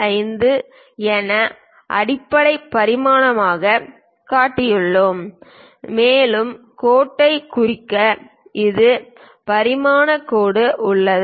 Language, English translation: Tamil, 75 as the basic dimension and there is a dimension line to represent the line